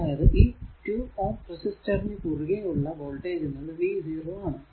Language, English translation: Malayalam, So, and voltage across 2 ohm resistance is v 0